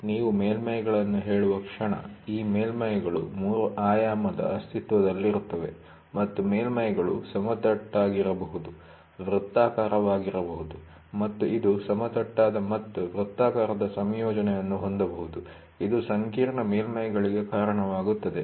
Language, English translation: Kannada, Moment you say surfaces, these surfaces are 3 dimensional in existence and the surfaces can be flat, can be circular and it can have a combination of flat and circular, which leads to complex surfaces